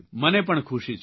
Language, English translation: Gujarati, Am fortunate too